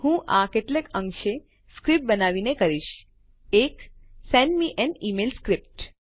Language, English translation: Gujarati, I will do that partly by creating a script a Send me an email script